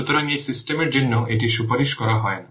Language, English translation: Bengali, So this is not recommended for this system